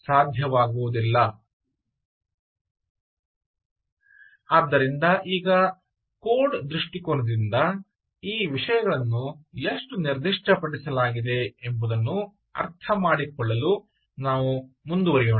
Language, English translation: Kannada, so now lets move on to understand from a from code perspective, how exactly these things actually are